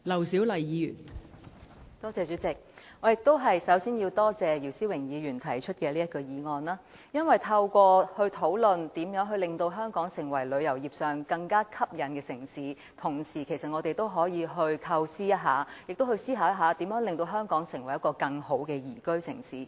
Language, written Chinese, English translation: Cantonese, 代理主席，首先，我也要感謝姚思榮議員動議這項議案，因為透過討論如何令香港成為更具吸引力的旅遊城市，我們其實可思考一下如何令香港成為一個更好的宜居城市。, Deputy President first of all I would also like to thank Mr YIU Si - wing for moving this motion because through discussing how to make Hong Kong a more attractive tourist city we can actually think about how to make Hong Kong a more liveable city